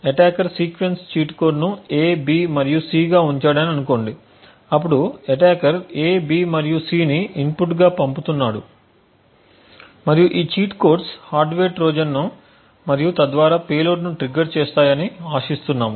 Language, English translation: Telugu, Let us say that the attacker has kept sequence cheat code as A B and C now the attacker is sending A B and C as the input and is hoping to hoping that this sequence of cheat codes would trigger the hardware Trojan and thereby the payload